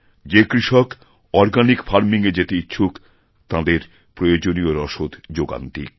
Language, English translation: Bengali, They should supply this to the farmers who are willing to adopt organic farming